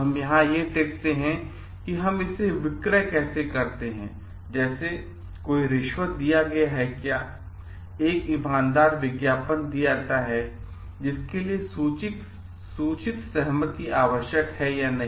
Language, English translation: Hindi, So, there we find like whether again we have found how do we sale it like any bribes are given; an honest advertisement is given informed consent is required yes or no